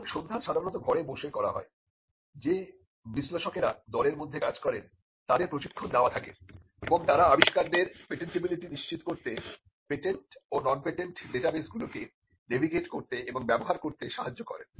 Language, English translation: Bengali, Now, the search is normally done in house; the analysts who work within the team are trained and they help the inverter inventors navigate and use patent and non patent databases to ascertain patentability